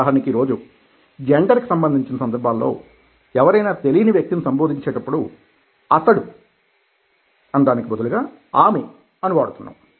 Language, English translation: Telugu, for instance, today, in the context of gender, whenever we address somebody, we use she instead of he when the person is unknown